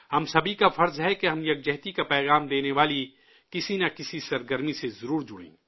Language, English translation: Urdu, It is our duty that we must associate ourselves with some activity that conveys the message of national unity